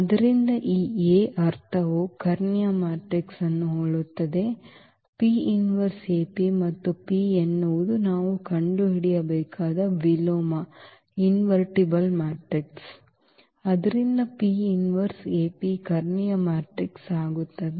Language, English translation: Kannada, So, the meaning this A is similar to the diagonal matrix here; AP inverse AP and this P is invertible matrix which we have to find, so that this P inverse AP becomes a diagonal matrix